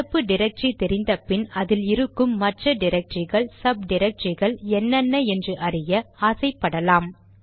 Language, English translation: Tamil, Once we know of our directory we would also want to know what are the files and subdirectories in that directory